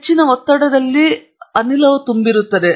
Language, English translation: Kannada, There is gas present inside it under high pressure